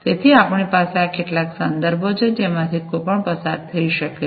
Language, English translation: Gujarati, So, we have these are the some of the references that one can go through